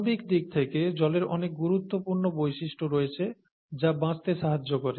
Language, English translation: Bengali, Water, at a molecular level, has very many important properties